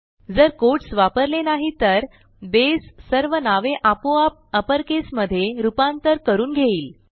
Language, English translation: Marathi, If we dont use the quotes, Base will automatically convert all names into upper cases